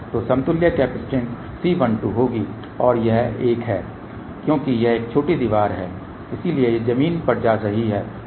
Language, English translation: Hindi, So, the equivalent capacitance will be C 1 2 and this is one since it is a shorted wall , so that is going to ground